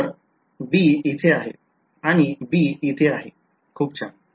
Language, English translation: Marathi, So, the b will come in over here